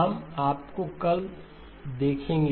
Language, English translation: Hindi, We will see you tomorrow